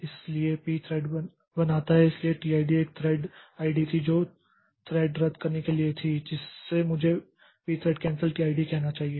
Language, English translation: Hindi, So, P thread creates, so this T ID was the thread ID for canceling this thread, so I should say P thread cancel T ID